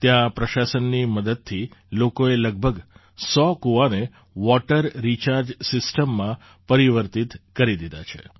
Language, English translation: Gujarati, Here, with the help of the administration, people have converted about a hundred wells into water recharge systems